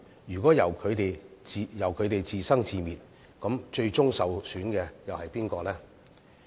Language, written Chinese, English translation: Cantonese, 如果任由他們自生自滅，最終受損的又是誰呢？, If nothing is done while they stew in their own juice who is going to suffer at the end of the day?